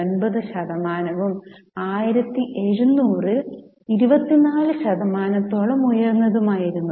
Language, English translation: Malayalam, 9 percent of the global GDP and as much as 1700 it was as high as 24 percent